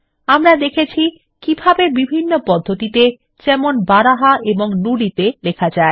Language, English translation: Bengali, We also saw how to type in different methods, for example, Baraha and Nudi